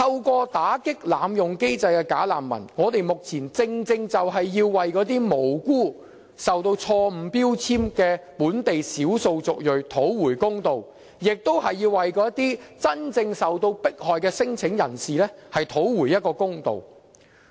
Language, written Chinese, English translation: Cantonese, 我們打擊濫用機制的"假難民"，正正就是要為那些無辜受到錯誤標籤的本地少數族裔討回公道，亦是為那些真正受到迫害的聲請人士討回公道。, The combat against bogus refugees abusing the system is done exactly with an aim to get justice for the innocent ethnic minorities in Hong Kong who are wrongfully labelled . We do it also for claimants genuinely put under persecution